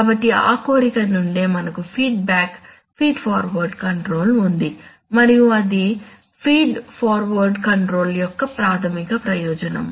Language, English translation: Telugu, So it is from that desire that we have feedback feed forward control and this is the basic advantage of feed forward control